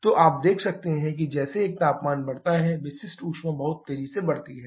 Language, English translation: Hindi, So, you can see as a temperature increases the specific heat keeps on increasing very, very rapidly